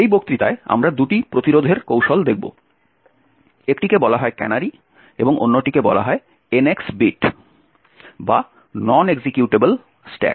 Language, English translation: Bengali, In this lecture we will look at two prevention techniques, one is called canaries while the other one is called the NX bit or the non executable stack